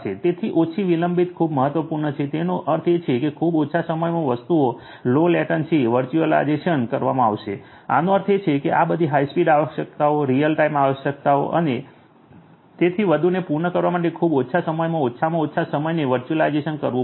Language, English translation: Gujarati, So, low latency is very important; that means, in very less time the things are going to be done low latency virtualization; that means, virtualization in very less time least time virtualization will have to be done in order to cater to all these high speed requirements, you know real time requirements and so on